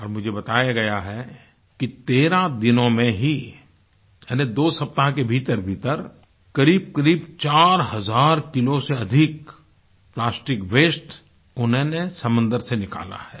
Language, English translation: Hindi, And I am told that just within 13 days ie 2 weeks, they have removed more than 4000kg of plastic waste from the sea